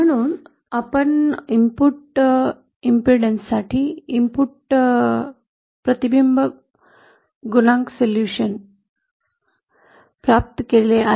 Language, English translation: Marathi, So we have obtained solution for the input reflection coefficient of input impedance